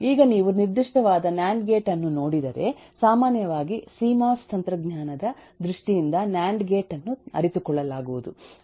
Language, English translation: Kannada, now if you look into a particular nand gate, typically a nand gate will be realized in terms of a cmos technology, so it will have cmos gates and interconnects